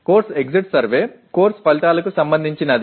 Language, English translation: Telugu, The course exit survey is related to the course outcomes